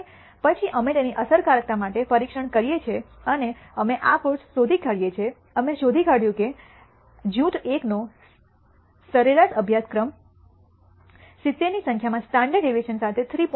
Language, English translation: Gujarati, And then we test them for the effectiveness and we find this course, we find that the average course of group 1 happens to be 70 with a standard deviation in the marks is 3